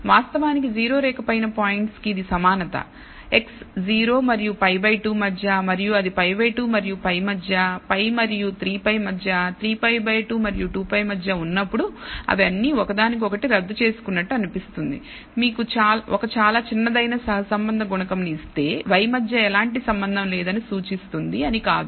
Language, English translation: Telugu, In fact, it is symmetric the points above the 0 line when it is x is between 0 and pi by 2 and when it is between pi by 2 and pi and between pi and 3 pi by 2 3 pi by 2 and 2 pi they all seem to cancel each other out and finally, give you a correlation coefficient which is very small, does not indicate imply that there is no relationship between y